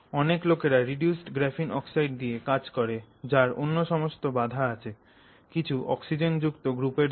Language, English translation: Bengali, Many other people are working with reduced graphene oxide which has this other constraint of you know some oxygen containing group